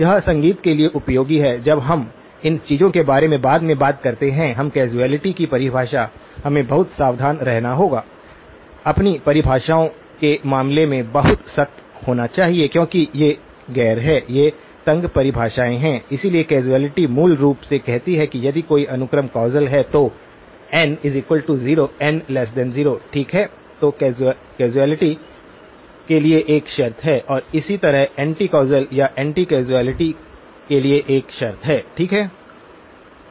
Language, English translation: Hindi, It is useful for consistency when we talk about these things later on in the course now, definition of causality; we have to be very careful, very strict in terms of our definitions because these are non; these are tight definitions so, causality basically says a sequence is causal if x of n is equal to 0 for n less than 0, okay that is a condition for causality and likewise there is a condition for anti causal or anti causality, okay